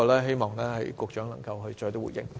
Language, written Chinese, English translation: Cantonese, 希望局長可以回應。, I hope the Secretary can give me a response